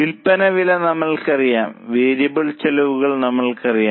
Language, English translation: Malayalam, We know sales price, we know the variable costs